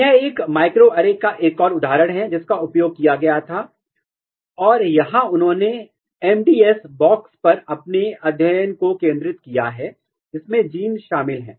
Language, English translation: Hindi, This is another example of a microarray which was used and here you can look here that, they have focused their study on the MADS box containing genes